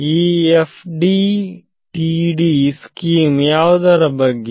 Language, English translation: Kannada, So, what is the FDTD scheme all about